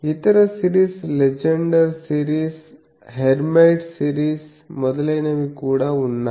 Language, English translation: Telugu, Also there are other series Legendre series, Hermite series etc